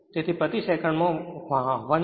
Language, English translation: Gujarati, So, it is coming 100